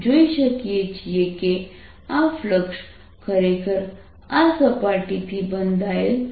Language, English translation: Gujarati, now we can see that this thing is actually flux found by the surface